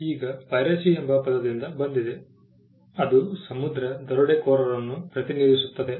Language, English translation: Kannada, Now piracy comes from the word pirate which stood for a sea robber